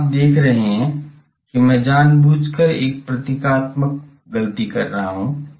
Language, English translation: Hindi, Here you see I am deliberately making a symbol symbolical mistake